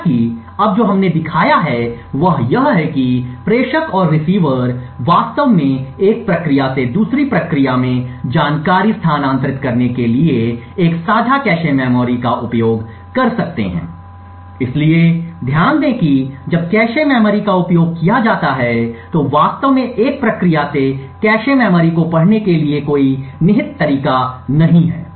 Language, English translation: Hindi, However what we have shown now is that the sender and the receiver can actually use a shared cache memory to transfer information from one process to another, so note that when cache memory is used there is no implicit way to actually for one process to read from the cache memory